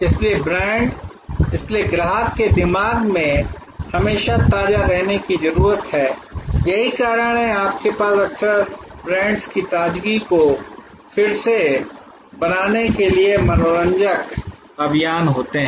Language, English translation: Hindi, So, brand therefore, needs to be always fresh in the customer's mind; that is why you often have recreational campaigns to recreate the brands freshness